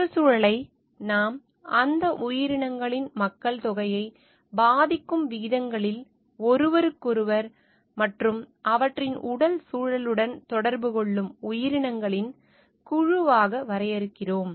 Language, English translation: Tamil, And we define ecosystem, as a group of organisms that interact with each other and with their physical environment in ways that affect the population of those organisms